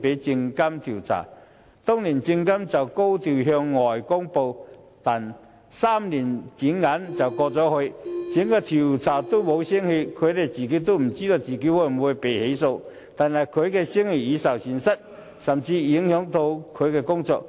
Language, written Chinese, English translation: Cantonese, 證監會當時高調向外公布，但轉眼3年過去，調查仍沒有結果，他也不知道會否被起訴，但聲譽卻已受損，甚至影響他的工作。, At that time SFC adopted a high profile and made a public announcement . However three years has passed but the investigation still has not yielded any result . He does not know whether he will be prosecuted but his reputation is harmed and even his work is being affected